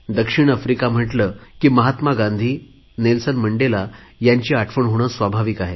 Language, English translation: Marathi, When we think of South Africa, it is very natural to remember Mahatma Gandhi and Nelson Mandela